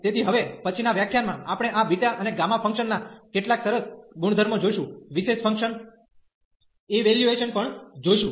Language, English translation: Gujarati, So, in the next lecture, we will also see some nice properties of this beta and gamma function also the evaluation of these such special functions